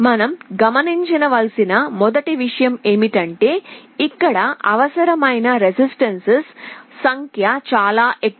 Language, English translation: Telugu, The first thing you note is here is that the number of resistances required are much more